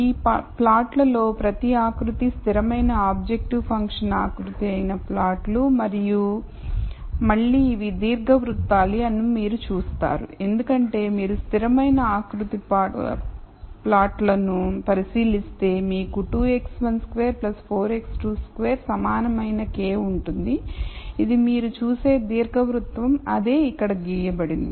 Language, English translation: Telugu, These are plots where each of this contour is a constant objective function contour and again you would see that these are ellipses because if you look at constant contour plots then you have 2 x 1 squared plus 4 x 2 square equal k this you will see is an ellipse that is what is plotted here